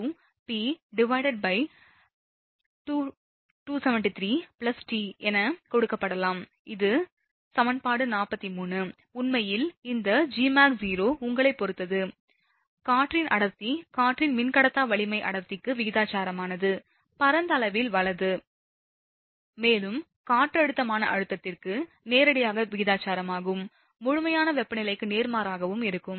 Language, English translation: Tamil, 392 p divided by 273 plus t, this is equation 43 actually this Gmax 0, depend on the your density of air the dielectric strength of air is proportional to density, over a wide range, right; and thus, directly proportional to the barometric pressure and inversely proportional to the absolute temperature, right